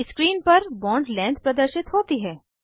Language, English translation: Hindi, The bond length is now displayed on the screen